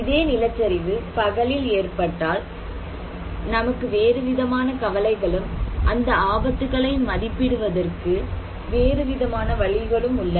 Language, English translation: Tamil, And if this landslide is happening at day time, we have different concerns and different way of measuring risk